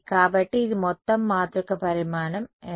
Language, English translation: Telugu, So, this overall matrix is the what size